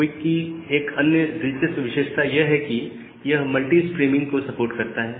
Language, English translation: Hindi, Another interesting feature of QUIC is to support multi streaming